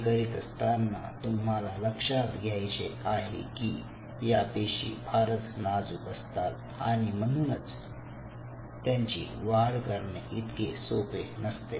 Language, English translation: Marathi, you have to realize that these cells are very fragile, very, very fragile, and it is not easy to grow them